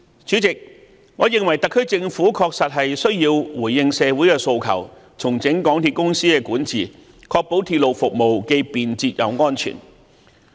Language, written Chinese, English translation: Cantonese, 主席，我認為特區政府確實需要回應社會的訴求，重整港鐵公司的管治，確保鐵路服務既便捷又安全。, President I think that the SAR Government does need to respond to social aspirations by restructuring the governance of MTRCL in order to ensure the provision of convenient efficient and safe railway services